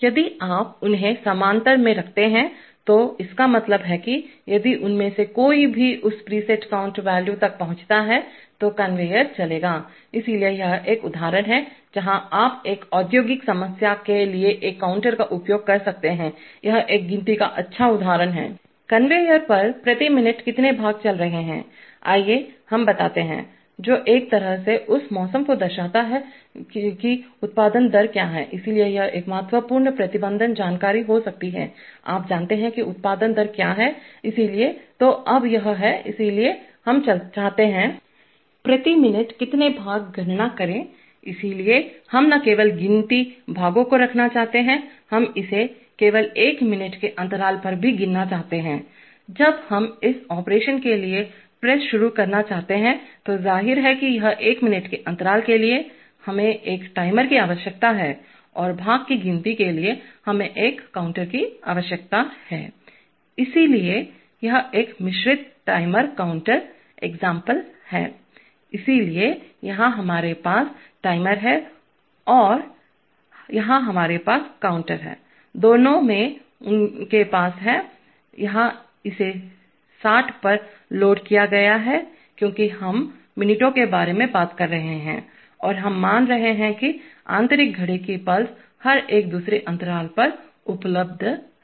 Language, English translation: Hindi, If you put them in parallel, it means that if any one of them reaches that preset value then the conveyor, then the conveyor will run, so this is an example where you can use a counter for an industrial problem, this is a nice example of counting, How many parts per minute are going on the conveyor, let us say, which, in a way indicates that weather what is the production rate, so it may be an important management information to, you know display what is the production rate, so what, so now is this, therefore this is, so we want to Count, how many parts per minute, so we want to not only keep count parts, we want to also count it only over one minute of interval, after we want the press start for this operation, so obviously for creating this one minute interval, we need a timer and for counting the part we need a counter therefore it is a mixed timer counterexample, so here we have the timer and here we have the counter, both have their, here it is loaded to 60 because we are talking about minutes and we are assuming that the internal clock pulses are available at every one second interval